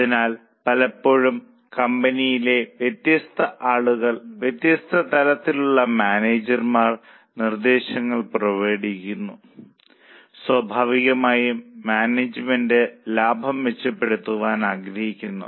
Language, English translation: Malayalam, So, often different people in the company, different levels of managers come out with suggestions and naturally management wants to improve profitability